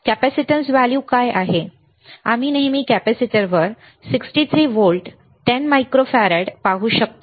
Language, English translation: Marathi, What is the capacitance value, we can always see on the capacitor the 63 volts 10 microfarad ok